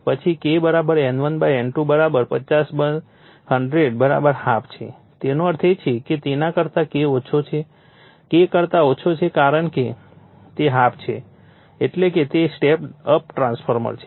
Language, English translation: Gujarati, Then K = N1 / N2 = 50 / 100 = half; that means, K less than that is your K less than because it is half; that means, it is step up transformer